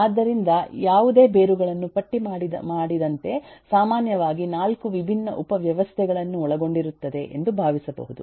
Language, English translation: Kannada, so any roots can be typically thought of to be comprising of four different subsystems, as listed